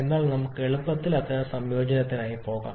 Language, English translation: Malayalam, And hence we can easily that such kind of combination